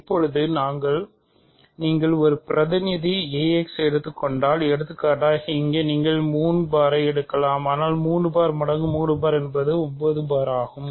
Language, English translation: Tamil, Now, if you take another representative a x does not change for example, here you can take 3 bar, but 3 bar is also 9 bar right